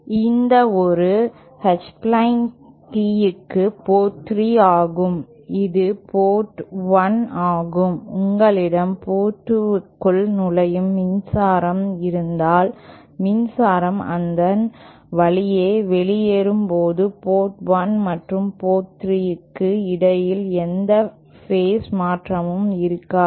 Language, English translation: Tamil, This is port 3 for a H plane tee this is port 1, if you have power entering port 2, there will be no phase shift between Port 1 and port 3 of the power exiting through them